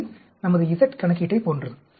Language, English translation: Tamil, This is like just like our z calculation